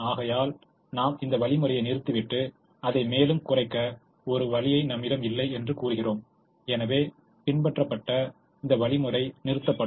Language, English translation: Tamil, therefore we stop the algorithm and say that we don't have a way by which we can reduce it further and therefore the algorithm stops